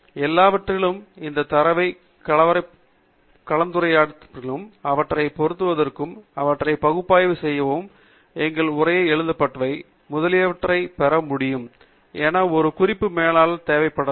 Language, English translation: Tamil, However, we may need a Reference Manager to be able to mix and match these data, analyze them, have our notes written, etcetera